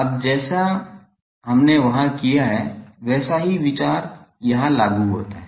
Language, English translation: Hindi, Now, the same consideration as we have done there applies here